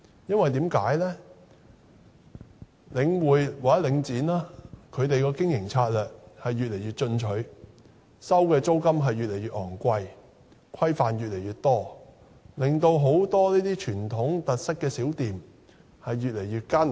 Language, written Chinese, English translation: Cantonese, 因為領展的經營策略越來越進取，收取的租金越來越昂貴，規範越來越多，令很多具傳統特色小店的經營越來越艱難。, Because Link REITs business strategy is growing increasingly ambitious . It is charging ever higher rents and imposing more and more restrictions thus making it increasingly difficult for small shops with traditional characteristics to operate